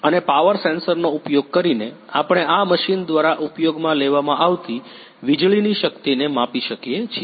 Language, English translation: Gujarati, And by using the power sensor we can a measure the power the electric power consumed by this machine